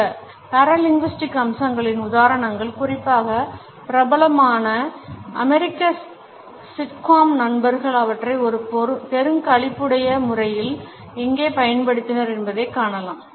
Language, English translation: Tamil, Examples of these paralinguistic features particularly pitch and tone in the famous American sitcom friends can be viewed where they have been used in a hilarious manner